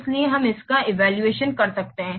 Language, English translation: Hindi, So we can evaluate it